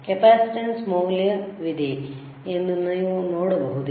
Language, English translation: Kannada, Can you see there is a capacitance value